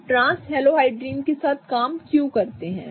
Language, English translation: Hindi, Why do we work with trans halohydrants